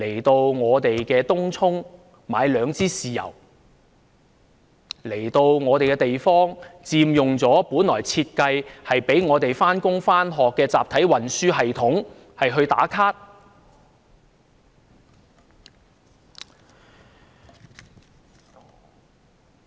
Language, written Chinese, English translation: Cantonese, 他們前往東涌購買兩支豉油，佔用了本來為香港人上班、上學而設計的集體運輸系統到處"打卡"。, When they go to Tung Chung to buy two bottles of soy sauce they take photos everywhere using the mass transit system originally designed for Hong Kong people commuting to work and to school